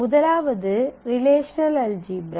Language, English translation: Tamil, So, we start with the relational algebra in the relational algebra